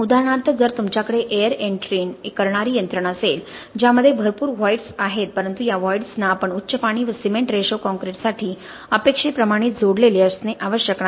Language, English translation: Marathi, For example if you have air entrained systems which have a lot of voids but these voids need not be essentially connected in the same way as we expected for a high water to cement ratio concrete